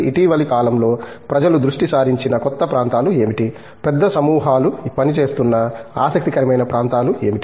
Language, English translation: Telugu, In recent times, what has been new areas that people have focused on, interesting areas that have come up recently that large groups are working on